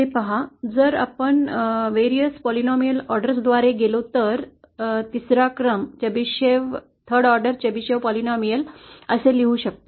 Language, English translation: Marathi, See that, if we go by the various polynomial orders the third order Chebyshev polynomial can be written like this